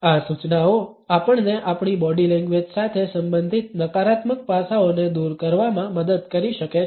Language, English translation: Gujarati, These tips may help us in overcoming the negative aspects related with our body language